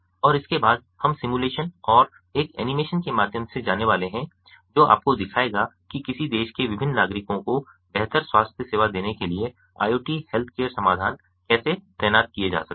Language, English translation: Hindi, and ah, thereafter we are going to go through a simulation which will ah, ah, an animation sorry, an animation which will which will show you how iot healthcare solutions can be deployed in order to give better healthcare to the different citizens of a country